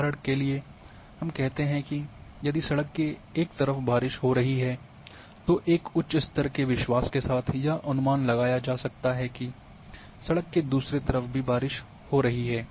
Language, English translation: Hindi, And for instance, if we say that if it is raining on one side of the street one can predict with a high level of confidence that it is raining on other side of the street